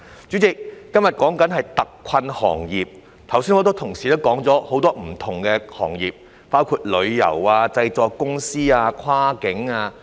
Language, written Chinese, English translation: Cantonese, 主席，今天討論的是特困行業，很多同事剛才也提及了很多不同行業，包括旅遊行業、製作公司、跨境運輸行業。, President todays discussion is about hard - hit industries and many Honourable Colleagues have mentioned a lot of different industries including the tourism industry production companies and the cross - boundary transport sector